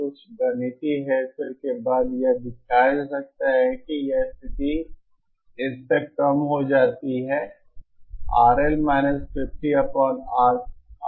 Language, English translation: Hindi, After some mathematical manipulation it can be shown that that condition reduces to this